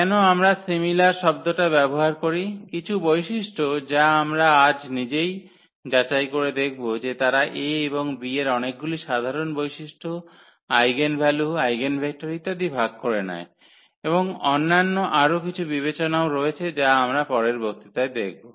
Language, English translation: Bengali, Why do we use the similar words some of the properties we will check today itself, that they share away many common properties this B and A in terms of the eigenvalues, eigenvectors and there are other considerations as well which we will continue in the next lecture